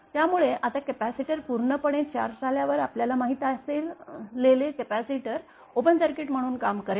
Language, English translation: Marathi, So, the when it is fully charged now capacitor will act as open circuit that is known to us